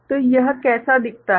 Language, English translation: Hindi, So, how does it look like